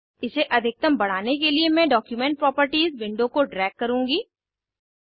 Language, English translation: Hindi, I will drag the Document Properties window to maximize it